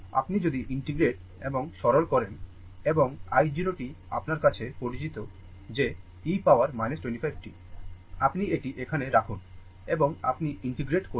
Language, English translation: Bengali, If you integrate and simplify and i 0 t is known to you that e to the power minus 25 t, you put it here, you put it here and you integrate